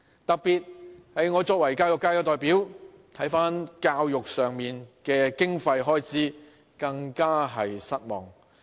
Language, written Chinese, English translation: Cantonese, 特別是我作為教育界的代表，看到政府在教育上的經費開支，更是感到失望。, In particular as a representative of the education sector I am utterly disappointed at the Governments spending on education